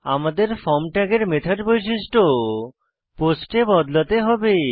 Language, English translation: Bengali, Here, we must change the method attribute of the form tag to POST